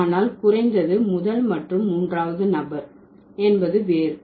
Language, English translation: Tamil, But at least in the first and the third person you have different